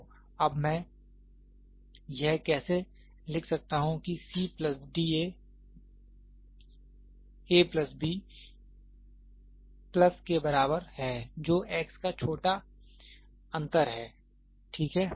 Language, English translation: Hindi, So, now, how do I write it is c plus d equal to a plus b plus that small difference of x, ok